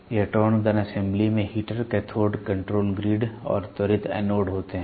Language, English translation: Hindi, Electron gun assembly comprising a heater cathode control grid and accelerating anodes are there